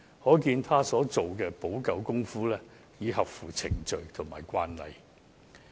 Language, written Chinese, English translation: Cantonese, 可見她所作出的補救，已合乎程序及慣例。, It is obvious that her remedies comply with the procedure and established practices